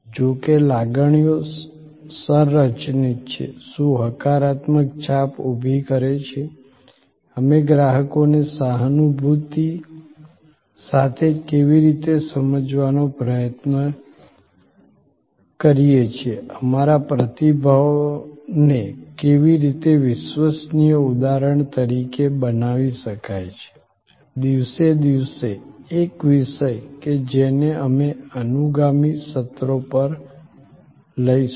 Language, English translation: Gujarati, However, emotions are structured, what creates a positive impression, how do we strive to understand the customer with empathy, how our response can be made reliable instance after instance, day after day, a topic that we will take up over the subsequent sessions